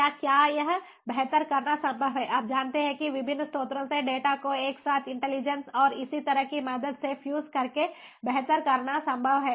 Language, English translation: Hindi, you know it is possible to do better by fusing the data from the different sources together with the help of intelligence and so on